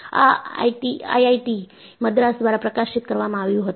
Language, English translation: Gujarati, This was published by IIT Madras